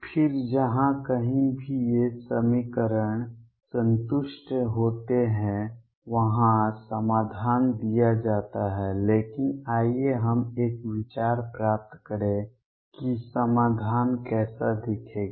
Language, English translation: Hindi, Then the solution is given by wherever these equations is satisfied, but let us get an idea as to what solution would look like